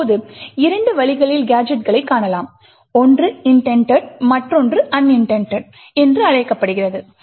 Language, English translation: Tamil, Now there are two ways gadgets can be found one is known as intended and the other is known as unintended